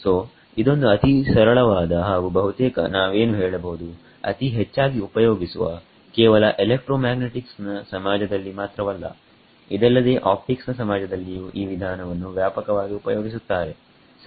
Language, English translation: Kannada, So, it is the simplest and also the most what can we say, most widely used not just in the electromagnetics community, but even in the optics community this method is used extensively ok